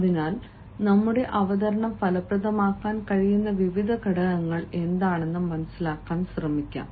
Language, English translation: Malayalam, so let us try to understand what are the various factors that can make our presentation effective